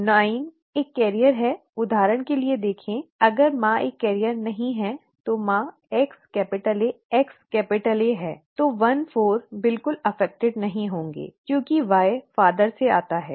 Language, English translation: Hindi, The probability that 9 is a carrier, see for example, if the mother is not a carrier then the mother is XAXA, right, X capital A X capital A, then 14 will not be affected at all, okay because Y comes from the father this Xa does not matter